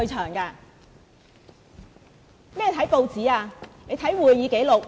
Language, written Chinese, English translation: Cantonese, 看甚麼報紙，你應該看會議紀錄。, Instead of reading the newspapers you should read the minutes of the meeting